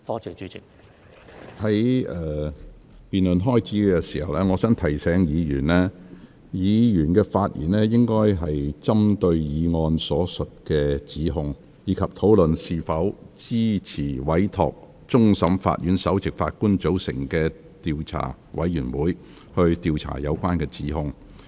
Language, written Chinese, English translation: Cantonese, 在這項議案辯論開始前，我想提醒議員，議員發言應針對議案所述的指控，以及討論是否支持委托終審法院首席法官組成調查委員會，以調查有關指控。, Before this motion debate starts I would like to remind Members that they should focus on the charges stated in the motion and discuss whether they support giving a mandate to the Chief Justice of CFA to form an investigation committee to investigate the relevant charges